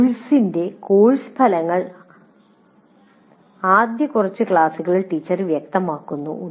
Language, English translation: Malayalam, The course outcomes of the course are made clear in the first few classes by the teacher